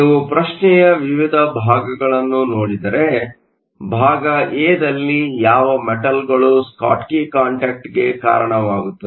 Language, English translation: Kannada, If you look at the various parts of the question, part a ask, which metals will result in a Schottky contact